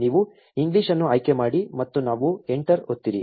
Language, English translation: Kannada, You select English and we press enter